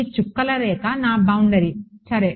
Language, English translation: Telugu, This dotted line is my boundary ok